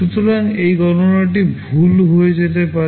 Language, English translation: Bengali, So, this calculation can become wrong